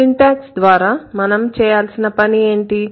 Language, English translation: Telugu, And through syntax, what we are going to do